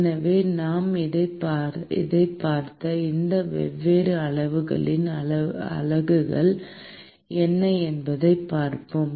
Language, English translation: Tamil, So, let us look at what are the units of these different quantities that we have looked at